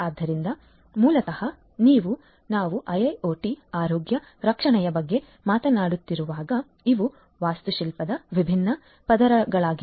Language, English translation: Kannada, So, basically you know when you are we are talking about IIoT healthcare, these are broadly the different layers in the architecture